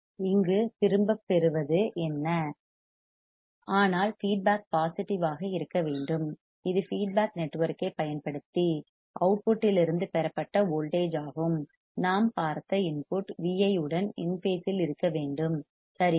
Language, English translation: Tamil, So, what is the return here that, but the feedback must be positive that is voltage derived from the output using the feedback network must be in phase with input V i correct that we have seen does